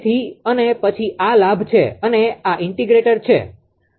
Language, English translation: Gujarati, So, and then this is the gain and this is the integrator